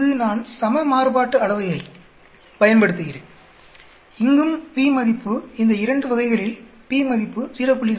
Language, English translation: Tamil, Here I am using equal variance, even here the p value in both these cases, p value is greater than 0